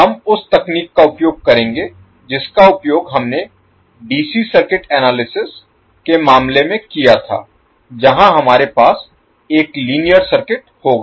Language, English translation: Hindi, We will use the same technique which we used in case of DC circuit analysis where we will have one circuit linear circuit